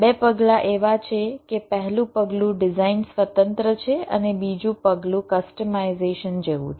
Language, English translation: Gujarati, the first step is design independent and the second step is more like customization